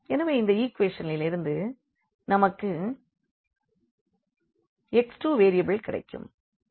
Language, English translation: Tamil, So, here from this equation we will get x 2 variable